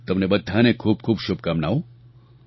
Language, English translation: Gujarati, My good wishes to all of you